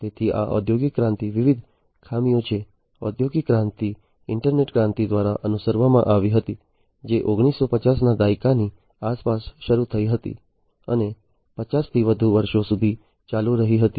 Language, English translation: Gujarati, So, these are the different drawbacks of industrial revolution, the industrial revolution was followed by the internet revolution, which started around the nineteen 50s and continued for more than 50 years